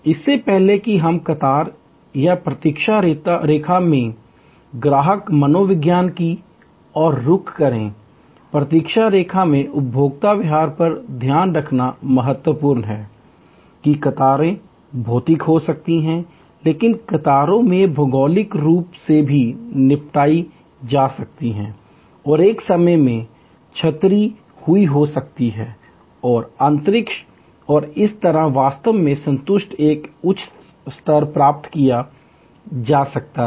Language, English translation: Hindi, Before we move to the customer psychology in the queue or waiting line, consumer behavior in the waiting line, it is important to note that queues can be physical, but queues can also be geographical disposed and there is a or it can be dispersed in time and space and thereby actually a much higher level of satisfaction can be achieved